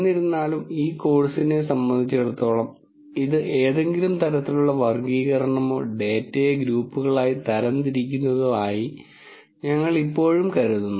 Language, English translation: Malayalam, However, as far as this course is concerned, we would still think of this as some form of classification or categorization of data into groups